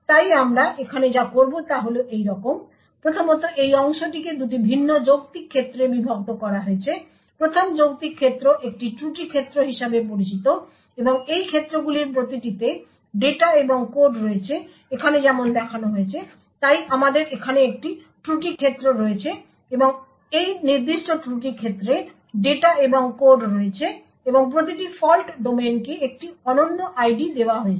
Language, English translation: Bengali, So what we do here is the following first the process space that is this part is partitioned in two various logical domains, each logical domain is known as a Fault Domain and each of these domains comprises of data and code as shown over here, so we have one fault domain over here and this particular fault domain comprises of data and code further each fault domain is given a unique ID